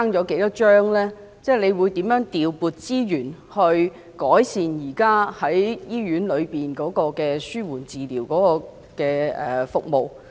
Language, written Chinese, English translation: Cantonese, 局長會如何調撥資源，改善現時醫院內的紓緩治療服務？, How will the Secretary allocate and deploy resources to improving the existing palliative care services in hospitals?